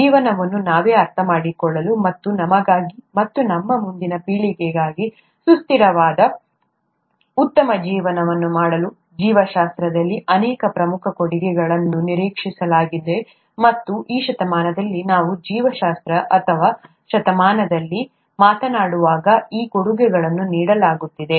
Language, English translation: Kannada, So many important contributions are expected to be made in biology to understand life ourselves, and to make a sustainable better life for ourselves as well as our future generations, and those contributions are being made as we speak in this century for biology, or century of biology